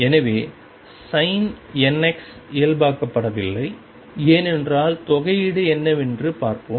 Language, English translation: Tamil, So, the sin n x is not normalized, because let us see what is the integration